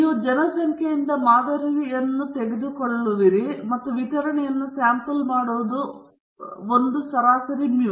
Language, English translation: Kannada, You are taking samples from a population and that sampling distribution is also having a mean mu